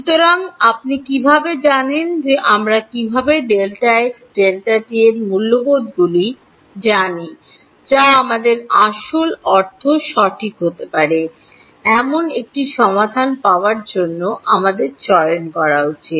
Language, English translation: Bengali, So, you know how do we know what values of delta x delta t we should choose in order for us to get a solution which has physical meaning right